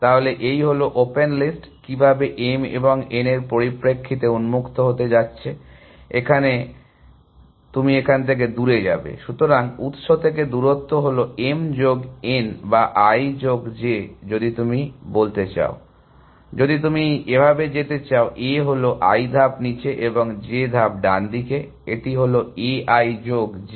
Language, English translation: Bengali, So, this is the open list, how the open going in terms of m and n, the father you go away from the… So, the distance from the source is m plus n or i plus j if you want to say, if you have a gone i steps down and j steps to the right, it is a i plus j